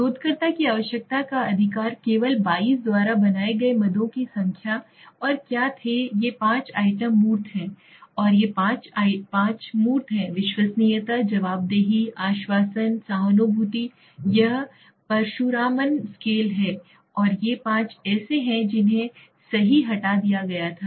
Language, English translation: Hindi, Because the rest 5 were not explaining well right to the requirement of the researcher, number of items maintained by only 22 and what were these 5 items tangible and these five are tangible, reliability, responsiveness, assurance, empathy this is a Parasuraman scale and these 5 are the one which was removed right